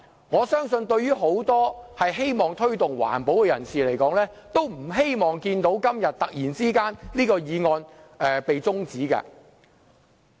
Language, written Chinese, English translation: Cantonese, 我相信很多希望推動環保的人士均不希望看到這項決議案辯論今天突然被中止待續。, I believe many people who care about the promotion of environmental protection do not wish to see the sudden adjournment of the debate on the proposed resolution today